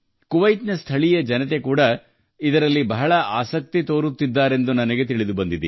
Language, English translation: Kannada, I have even been told that the local people of Kuwait are also taking a lot of interest in it